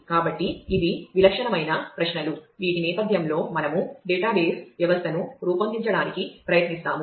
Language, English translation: Telugu, So, these are the typical queries against which in the backdrop of which we will try to design the database system